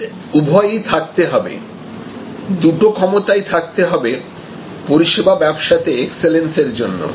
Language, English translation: Bengali, We must have both offerings, we must have both capabilities to excel in the service business